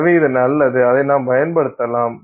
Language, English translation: Tamil, So, this is good and we can utilize it